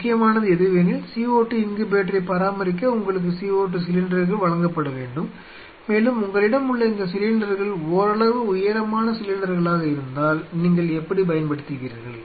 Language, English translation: Tamil, So, at this point this is not important, important is that to maintain a co 2 incubator you need a supply of co 2 cylinder and if you have these cylinders and these are fairly tall cylinders what you will be using